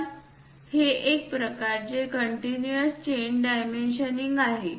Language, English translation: Marathi, One of them is called chain dimensioning